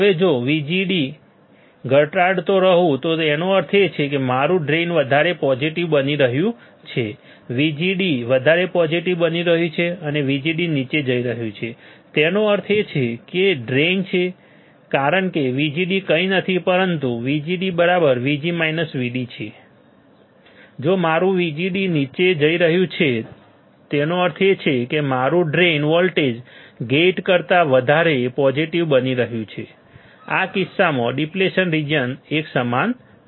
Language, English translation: Gujarati, Now if VGD keeps on decreasing; that means, my drain is drain is becoming more positive, VDS is becoming more positive and VGD is going down so; that means, drain is because VGD is nothing, but VGD is VG minus VD right VGD is nothing, but VG minus VD